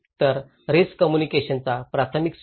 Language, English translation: Marathi, So, the primary source of risk communications